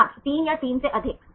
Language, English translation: Hindi, 3 or more than 3